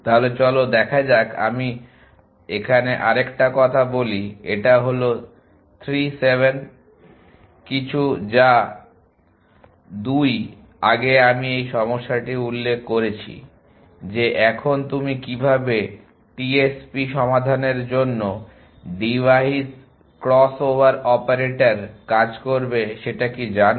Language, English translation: Bengali, So let us I another to so let to say this is 3 7 some 2 to as have had mention this problem earlier that how do you now, device cross over operators for the TSP problem